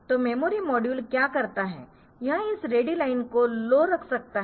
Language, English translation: Hindi, So, what the memory module can do it can put this ready line low